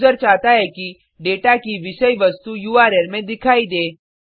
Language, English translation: Hindi, the user wants the contents of the data to be visible in the URL